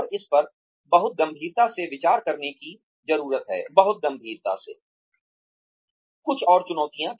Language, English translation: Hindi, And, that needs to be considered, very very seriously Some more challenges